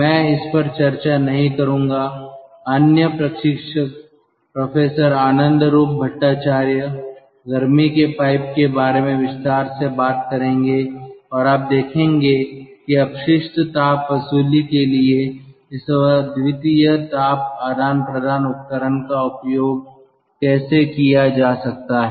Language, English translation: Hindi, the other instructor, ah professor anandaroop bhattacharya, will talk about heat pipes in detail and you will see that how this unique ah heat exchange devices can be utilized for waste heat recovery